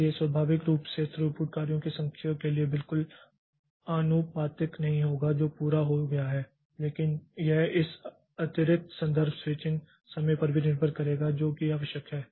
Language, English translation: Hindi, So, naturally throughput will not be exactly proportional to the number of jobs that are completed but it will be also depend on the this extra context switching time that is needed